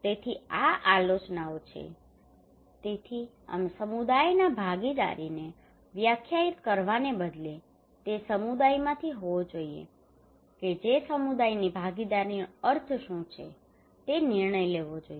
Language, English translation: Gujarati, So these are the criterias we found so therefore instead of we define the community participations it should be from the community who would decide that what is the meaning of community participation